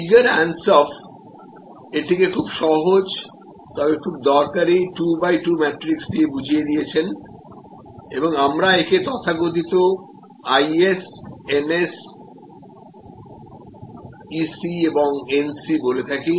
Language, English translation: Bengali, Igor Ansoff had provided this very simple, but very useful 2 by 2 matrix and we call this the so called ES, NS and EC NC